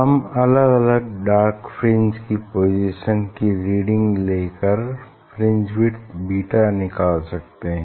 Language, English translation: Hindi, we can get the reading We can get the reading of different band dark fringe position from there we can find out the beta